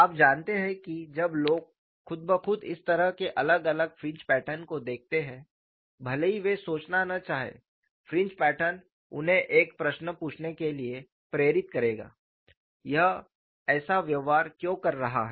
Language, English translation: Hindi, You know automatically when people look at this kind of different fringe patterns even if they do not want to think the fringe patterns will make them ask a question, why it is behaving like this